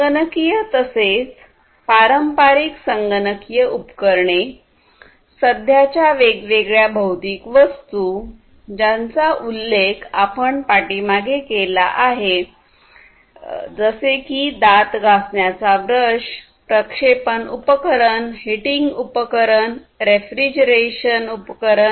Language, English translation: Marathi, So, computational as well as the traditional computational devices plus the present different physical objects, all these objects that I mentioned like the toothbrush, projection system, heating system and this refrigeration system, and so on